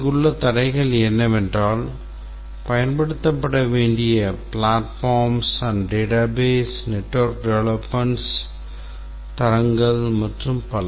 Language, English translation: Tamil, The constraints here, what are the platform that will be used, the database that will be used, the network development standards and so on